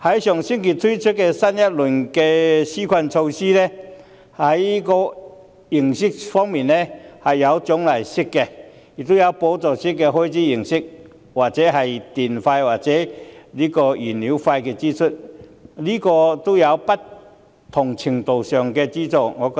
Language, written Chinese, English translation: Cantonese, 上星期推出的新一輪紓困措施，既有獎勵式，亦有補助開支的形式，例如補助電費、燃料費的支出，都是不同程度的資助。, Last week a new round of relief measures was introduced . Some of the measures are incentive - based and some others are subsidy - based for instances subsidies in electricity charges and fuel costs and they are all assistances in various degrees